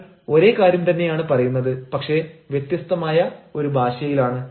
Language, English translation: Malayalam, i mean, you are saying the same thing, but you are having a different language